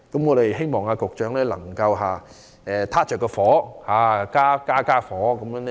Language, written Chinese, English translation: Cantonese, 我希望局長能夠"開大火"，以便更快烹調好菜餚。, I hope the Secretary can turn up the flame so that he can finish cooking the dishes more quickly